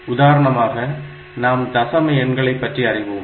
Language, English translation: Tamil, So, this is the decimal number system